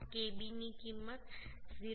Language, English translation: Gujarati, 5 into kb value is 0